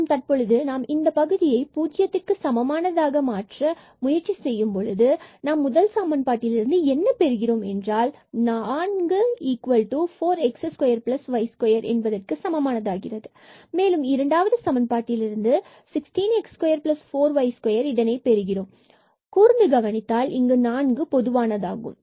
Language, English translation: Tamil, And now if we try to make this and this term 0, so what we will get from the first equation, we are getting 4 is equal to 4 x square plus y square, well from the second equation we are getting 16 x square and plus 4 y square correct, 16 x square plus 4 y square